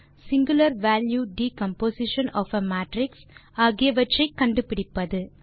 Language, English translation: Tamil, singular value decomposition of a matrix